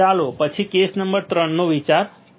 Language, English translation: Gujarati, Let us consider then case number 3